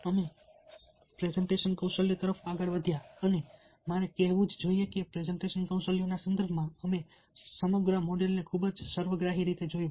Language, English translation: Gujarati, we looked on to presentation skills and i must say that in the context of presentations skills, we looked at the entire model in a very holistic way